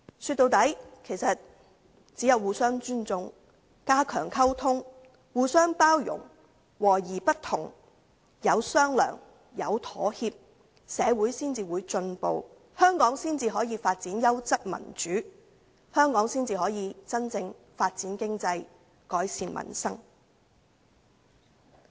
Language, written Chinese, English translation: Cantonese, 說到底，其實只有互相尊重、加強溝通、互相包容、和而不同、有商量、有妥協，社會才會進步，香港才可發展優質民主，才可真正發展經濟，改善民生。, After all it is only when there are mutual respect strengthened communication tolerance accommodation of different views negotiations and compromises that society will progress . Only then can Hong Kong develop quality democracy . Only then can there be genuine economic development and improvement to the peoples livelihood